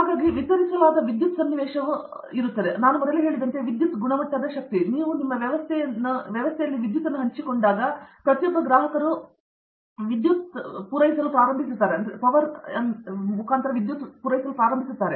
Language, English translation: Kannada, So, as I mentioned earlier the distributed power scenario is one thing, power quality power, when you have distributed system of you know, every consumer starts feeding in power into the system